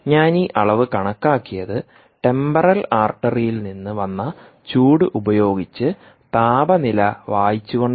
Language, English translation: Malayalam, i made this measurement by reading the temperature, by the heat, i would say, emanated by the temporal artery